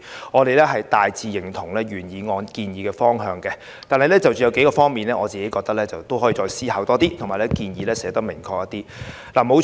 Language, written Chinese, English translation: Cantonese, 我們大致認同原議案建議的方向，但我認為有數個方面可以再作思考，而相關建議亦可表達得更明確。, We generally support the direction proposed in the original motion . But I think further thoughts may be given to a few aspects and the relevant recommendations can be made more specific